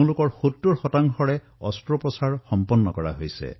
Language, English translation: Assamese, Of these, 70 percent people have had surgical intervention